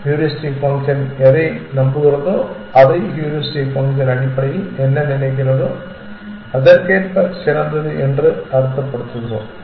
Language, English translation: Tamil, according to what the heuristic function believes or what the heuristic function thinks essentially only as far as that essentially